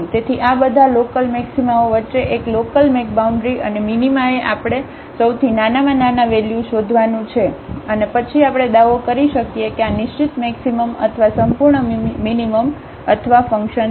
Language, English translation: Gujarati, So, among all these local maximas a local maxima and minima we have to find the largest the smallest values and then we can claim that this is the absolute maximum or the absolute minimum or the a function